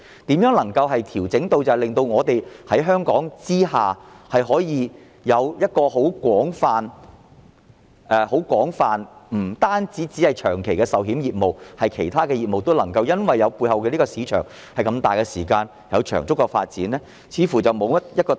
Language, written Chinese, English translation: Cantonese, 如何能夠作出調整，令香港保險業的業務更為廣泛，不止是長期的人壽保險業務，而是其他業務都能夠因為背後有龐大市場而有長足的發展？, What adjustments can we make to expand the scope of insurance business in Hong Kong beyond long - term life insurance business and promote the long - term development of other insurance businesses with the support of this huge market?